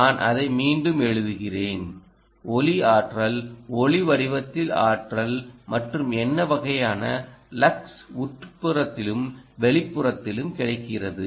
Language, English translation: Tamil, well, let me rewrite it: yeah, light energy, energy in the form of light, and what is the kind of lux ah that is available indoor as well as outdoor